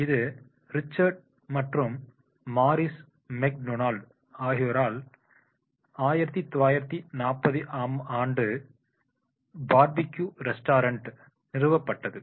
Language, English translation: Tamil, It was founded in 1940 as a barbecue restaurant that is operated by the Richard and Morris McDonald